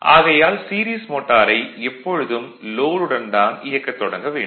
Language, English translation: Tamil, Therefore, a series motor should always be started on load